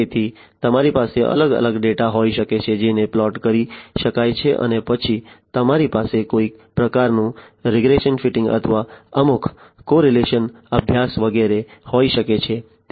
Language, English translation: Gujarati, So, you can have different data which could be plotted and then you can have some kind of a regression fitting or some correlation study etcetera